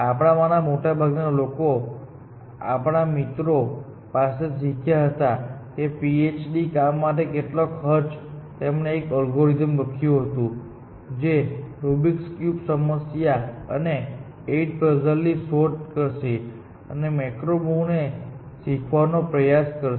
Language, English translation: Gujarati, Of course, most of us learned from friends, at what cost rate for this PHD work was that he wrote an algorithm, which will search in the Rubics cube problem and the eight puzzles problem, and tried to learn macro move, essentially